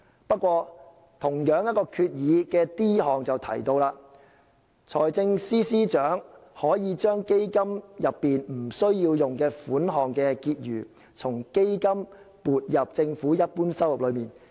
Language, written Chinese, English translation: Cantonese, 不過，同一項決議的 d 項提到："財政司司長可 ——i 將基金內基金不需用的款項的結餘從基金撥入政府一般收入內"。, That said paragraph d of the same resolution states that the Financial Secretary may―i transfer from the Fund to the general revenue any balance in the Fund which is not required for the purposes of the Fund